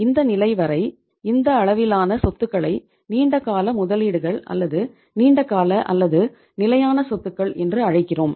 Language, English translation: Tamil, Up to this level we call this level of assets as the long term investments or the long term or the fixed assets